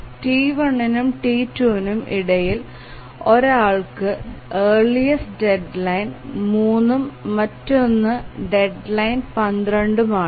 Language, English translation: Malayalam, So, between T1 and T2, which has the earliest deadline, one has deadline three and the other has deadline 12